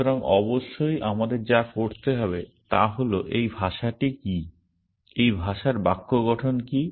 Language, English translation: Bengali, So, of course, what we need to do is to describe what is this language, what is the syntax of this language